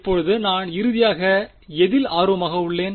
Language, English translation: Tamil, Now what am I finally interested in